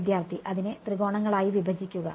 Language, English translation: Malayalam, Break it into triangles